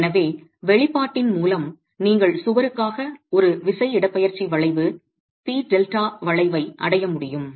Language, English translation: Tamil, So, with the expression you should be able to arrive at a force displacement curve, a P delta curve for the wall itself